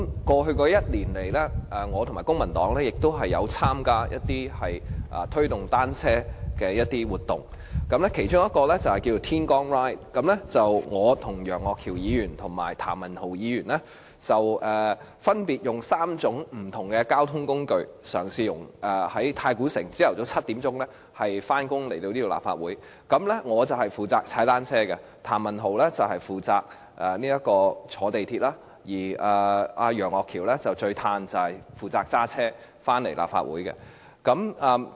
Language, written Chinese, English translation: Cantonese, 過去1年來，我和公民黨亦參加了一些推動單車的活動，其中一項活動名為"天光 Ride"， 由我、楊岳橋議員和譚文豪議員在早上7時，分別以3種不同的交通工具，由太古城前來立法會上班。我負責騎單車、譚文豪議員負責乘坐港鐵，而楊岳橋議員最舒服，負責駕車到立法會上班。, Over the past year the Civic Party and I also participated in some activities aimed at promoting cycling . In one of these activities namely Bike The Moment Mr Alvin YEUNG Mr Jeremy TAM and I embarked from Tai Koo Shing at 7col00 am to commute to our workplace the Legislative Council by three different modes of transport with me riding a bicycle Mr Jeremy TAM taking Mass Transit Railway and Mr Alvin YEUNG who enjoys the most comfortable ride driving his own car